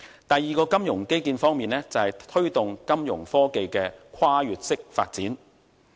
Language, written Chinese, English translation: Cantonese, 第二個金融基建方面，就是推動金融科技的跨越式發展。, The second point about the financial infrastructure is the promotion of exponential Fintech progress